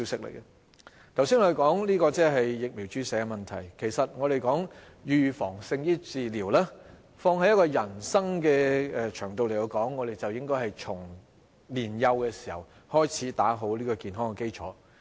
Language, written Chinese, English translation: Cantonese, 我們剛才談及疫苗注射的問題，其實我們說"預防勝於治療"，放在人生的場道來說，我們便應該從年幼開始打好健康基礎。, We talked about the vaccination problem just now . In fact if we apply the saying prevention is better than cure on our life we should start building up our health at our young age